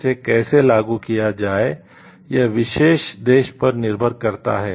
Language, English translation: Hindi, How to execute it depends on the particular country